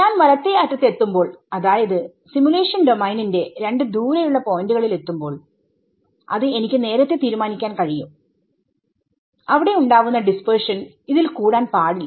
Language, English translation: Malayalam, As I reach the rightmost like the two farthest points on the in the simulation domain I can fix before hand and say the dispersion form these two points should be no more than so much